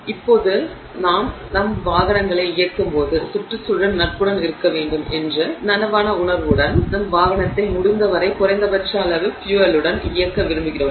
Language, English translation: Tamil, Now with increasing conscious feeling that we have to be environmentally friendly when we operate our vehicles, we would like to operate our vehicle with as minimum amount of fuel as possible, right